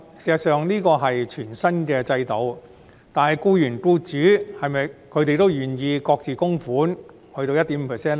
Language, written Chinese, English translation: Cantonese, 事實上，這是全新的制度，但僱員和僱主是否也願意各自供款 1.5% 呢？, Employees who have become unemployed can receive assistance up to half a year . In fact this is an entirely new system but are the employees and employers willing to contribute 1.5 % each?